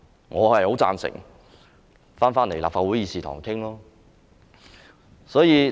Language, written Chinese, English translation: Cantonese, 我很贊成返回立法會議事堂討論。, I strongly support discussion at the Legislative Council instead